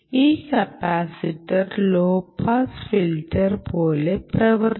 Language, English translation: Malayalam, this is a capacitor which is like a low its for its a low pass filter